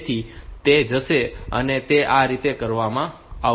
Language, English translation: Gujarati, So, it will go it will be done like that